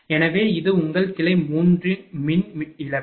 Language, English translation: Tamil, So, this is your branch 3 power loss now